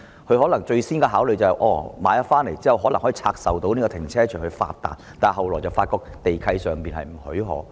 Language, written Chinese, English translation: Cantonese, 他們在購買商場後，可能最先是考慮拆售停車場以致富，但後來卻發覺地契不許可。, After acquiring the shopping arcades the first thing they would consider might be the divestment of parking spaces in order to get rich only to find later that this is not permitted in the land lease